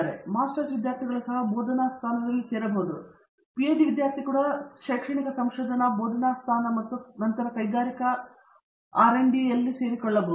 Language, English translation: Kannada, So, master students can also join a teaching position and a PhD student can also join an academic research teaching position and then industrial R and D